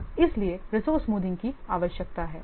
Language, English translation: Hindi, So, what is resource smoothing